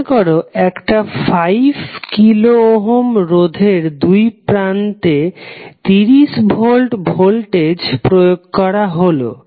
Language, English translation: Bengali, That is supposed a 30 volt voltage is applied across a resistor of resistance 5 kilo Ohm